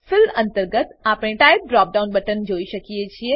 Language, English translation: Gujarati, Under Fill, we can see Type drop down button